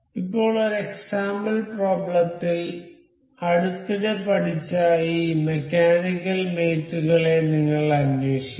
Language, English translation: Malayalam, Now, in an example problem, we will look for the recently learned this mechanical mates available